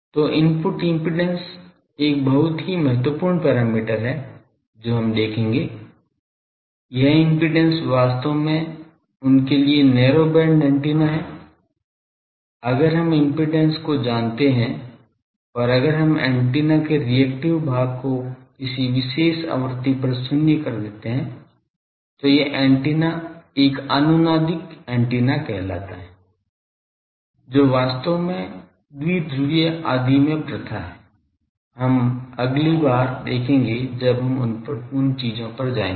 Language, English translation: Hindi, So, input impedance is a very important parameter we will see that, this impedance actually the narrow band antennas for them, if we know the impedance and, if we can make the reactive part of the antenna at a particular frequency is zero, then that antenna can be called as a resonating antenna actually that is the practice in dipole etc